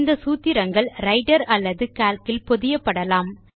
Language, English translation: Tamil, The formulae can be embedded into documents in Writer or Calc